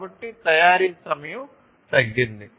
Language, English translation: Telugu, So, there is reduced manufacturing time